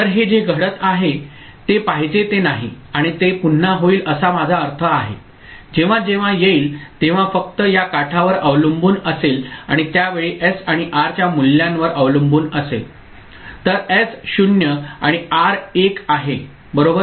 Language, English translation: Marathi, So, that is not what is happening and it will happen again I mean, it will depend only again in the this edge whenever it comes and depending on the value of S and R at that time so S is equal to 0 and R is equal to 1 ok